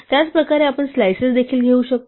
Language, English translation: Marathi, In the same way we can also take slices